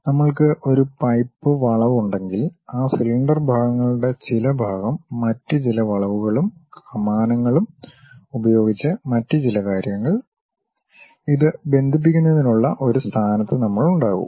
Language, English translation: Malayalam, If we have a pipe bend, then again some part of that cylinder portions, some other things by other kind of curves and arcs; we will be in a position to connect it